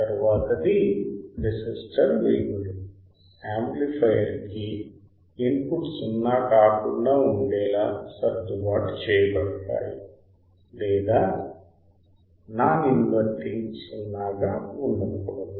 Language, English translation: Telugu, Then next one is resistor values are adjusted in a way that input to amplifier must not be 0 or non inverting must not be 0 or non inverting ok